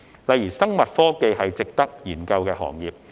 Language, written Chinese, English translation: Cantonese, 例如，生物科技是值得研究的行業。, For example biotechnology is an industry worth studying